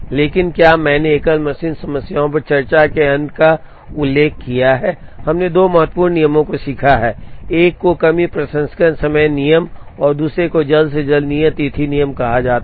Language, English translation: Hindi, But, has I have mentioned the end of discussion on single machine problems, we learnt two important rules, one is called the shortage processing time rule and the other is called the earliest due date rule